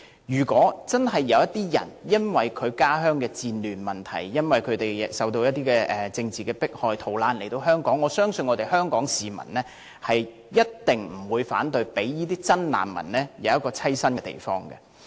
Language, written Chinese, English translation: Cantonese, 如果有人真的因為家鄉的戰亂問題或受到政治迫害而逃難來港，我相信香港市民一定不會反對為這些真正的難民提供棲身之處。, I am sure Hong Kong people will not object to providing shelters for genuine refugees who are living under the chaos of war or subjected to political persecution in their hometowns and are thus forced to flee to Hong Kong